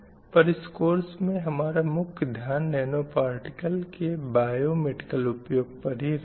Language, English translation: Hindi, We will emphasis only on the biomedical application of this nanomaterials